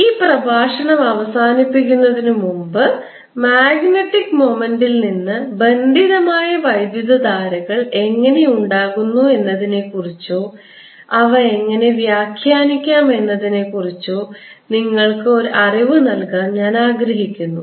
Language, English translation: Malayalam, before we end this lecture, i want to give you a feeling for how the bound currents arise out of magnetic moments, or how we can interpret them